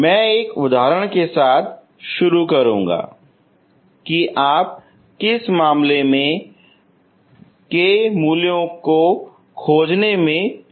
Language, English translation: Hindi, I will start with an example in which case you will able to find k values